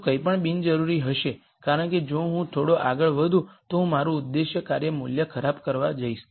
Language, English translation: Gujarati, Anything more would be unnecessary because if I move little further I am going to make my objective function value worse